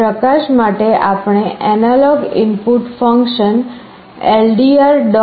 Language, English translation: Gujarati, In the light we are using the analog input function ldr